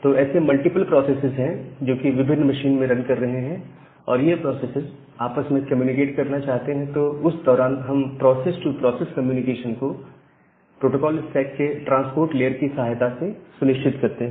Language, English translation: Hindi, And those processes want to communicate with each other and during that time we make or we ensure this process to process communication with the help of that transport layer of the protocol stack